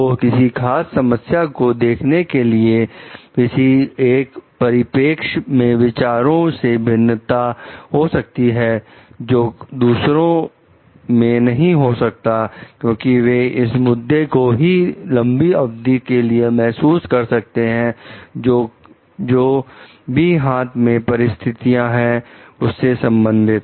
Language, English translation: Hindi, So, there may have a difference of opinion of looking at a particular problem from a perspective which others may not have because they can then sense further like long term issues related to the maybe the situation at hand